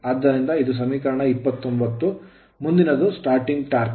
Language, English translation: Kannada, So, this is equation 29 next is the starting torque at